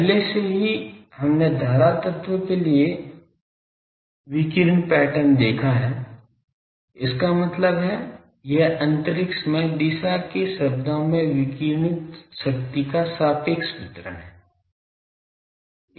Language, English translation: Hindi, Already we have seen the radiation pattern for current element; that means, if I the it is the relative distribution of radiated power as a function of direction in space